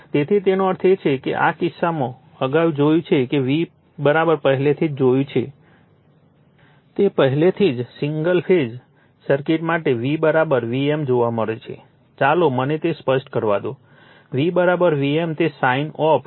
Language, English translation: Gujarati, So, in this case that means, the earlier we have seen that your v is equal to we have already seen know, v we have already seen for single phase circuit v is equal to v m let me clear it, v is equal to v m that sin of omega t